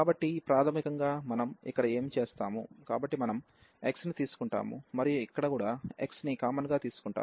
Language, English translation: Telugu, So, basically what usually we do here, so we take x and here also we will take x common